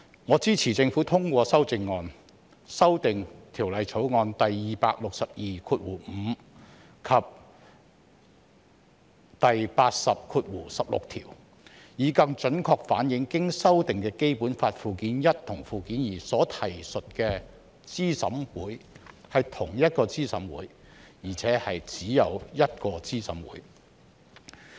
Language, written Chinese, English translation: Cantonese, 我支持政府通過修正案，修訂《條例草案》第2625條及第80條，以更準確反映經修訂的《基本法》附件一和附件二所提述的資審會是同一個資審會，並且只有一個資審會。, I support the Governments amendments to amend clauses 2625 and 8016 of the Bill to more accurately reflect that the CERC referred to in the amended Annexes I and II to the Basic Law is the same committee and that there is only one CERC